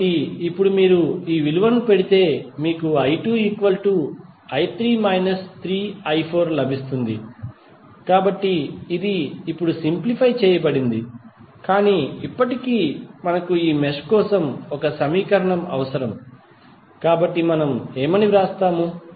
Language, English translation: Telugu, So, now if you put these value here you will get i 2 is nothing but i 3 minus 3i 4, so it is simplified now but still we need the equation for this mesh, so what we will write